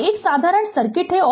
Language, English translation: Hindi, So, is a simple circuit